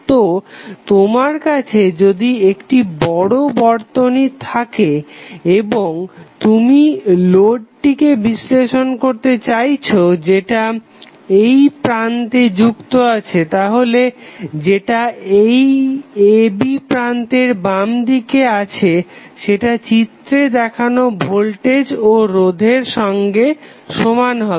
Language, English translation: Bengali, So, what we discussed that if we have a fairly large circuit and we want to study the load at connected across two terminals then the circuit which is left of the nodes a and b can be approximated rather can be equal with the voltage and resistances shown in the figure